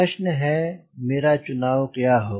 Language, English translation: Hindi, question is: how do i decide